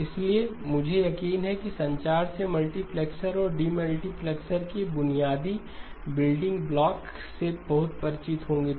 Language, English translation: Hindi, So I am sure that from communications you are very familiar with the basic building block of a multiplexer and demultiplexer